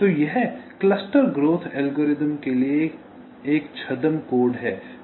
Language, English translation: Hindi, so this is the pseudo code for the cluster growth algorithm